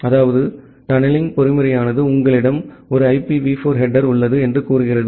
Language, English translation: Tamil, That means, the tunneling mechanism says that, you have a IPv4 header